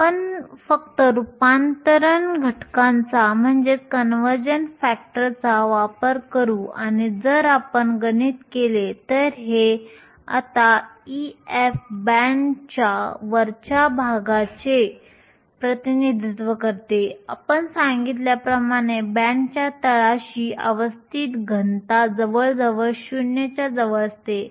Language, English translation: Marathi, We will just make use of the conversion factor and if we do the math these comes down now e f represents the top of the band we said at the bottom of the band the density of states nearly close to 0